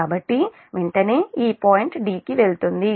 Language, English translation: Telugu, so immediately this point will move to d